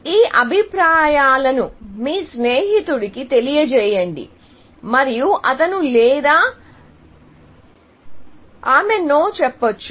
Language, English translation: Telugu, So, you present this option to your friend, and he or she says, no